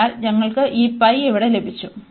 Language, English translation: Malayalam, So, therefore, we got this pi here